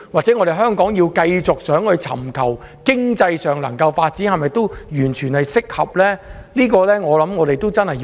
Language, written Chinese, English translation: Cantonese, 如果香港想繼續尋求經濟發展，這種稅制和政策是否完全適合呢？, If Hong Kong wishes to keep seeking opportunities for economic development are the tax regime and the policy entirely appropriate?